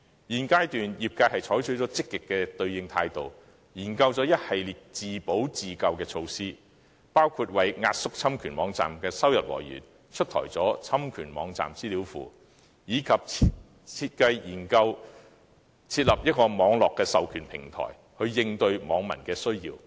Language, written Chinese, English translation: Cantonese, 現階段業界已採取積極的應對態度，研究了一系列自保、自救措施，包括為壓縮侵權網站的收入來源推出了"侵權網站資料庫"，以及研究設立網絡授權平台，以回應網民需要。, At the current stage the industry has taken a proactive approach to explore a series of measures for self - protection and self - help including launching a database of infringing websites for the purpose of compressing infringing websites sources of revenue while mulling the establishment of an Internet authorization platform to address netizens needs